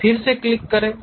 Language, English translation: Hindi, Now, click again